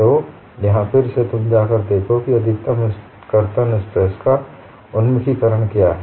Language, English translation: Hindi, So, here again, you go and look at what is the orientation of maximum shear stress